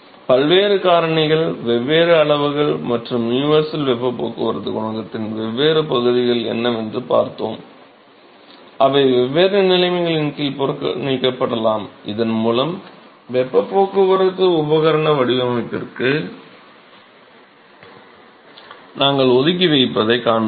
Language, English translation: Tamil, We will see a lot more details about, what are the different factors accounted for, what are the different quantity and; what are the different pieces of the universal heat transport coefficient that you can neglect under different conditions so that we will see we reserve to the heat transport equipment design